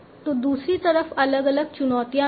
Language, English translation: Hindi, So, on the other side, there are different challenges also